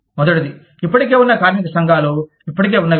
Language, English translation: Telugu, The first is, existing trade unions, what is already there